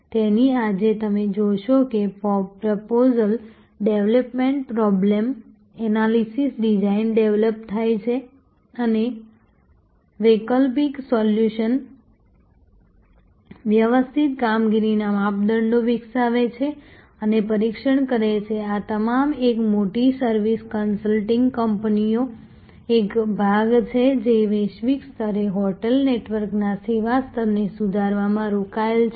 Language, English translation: Gujarati, So, today is as you see proposal development problem analysis design develop and test alternative solutions develop systematic performance measures these are all part of say a large service consulting company engaged in improving the service level of say a hotel network globally